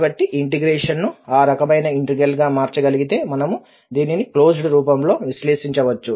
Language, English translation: Telugu, If we can convert this integral into that type of integral then we can evaluate this in a closed form